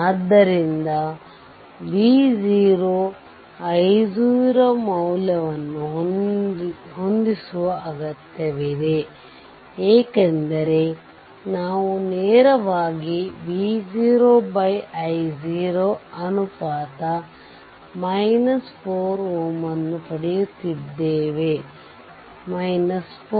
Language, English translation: Kannada, So, need to set i 0 or V 0 V i 0 value, because directly we are getting V 0 by i 0 ratio is minus 4 ohm